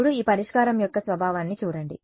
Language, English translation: Telugu, Now, just look at the nature of this solution